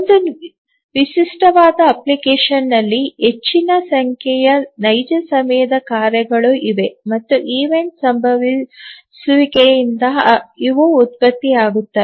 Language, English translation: Kannada, In a typical application there are a large number of real time tasks and these get generated due to event occurrences